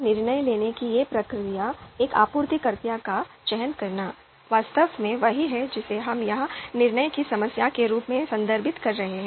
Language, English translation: Hindi, So this decision making process, this process of decision making, selecting a supplier, is actually what we are referring as the you know decision problem here